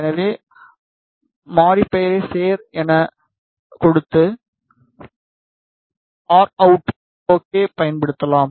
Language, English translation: Tamil, So, maybe give the variable name as add and use r out ok